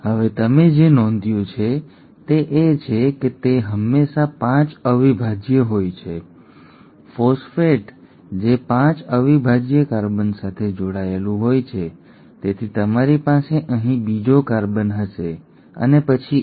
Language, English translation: Gujarati, Now what you notice is that it is always the 5 prime, the phosphate which is attached to the 5 prime carbon, so you will have another carbon here and then this